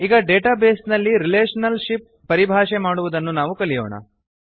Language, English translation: Kannada, Let us now learn about defining relationships in the database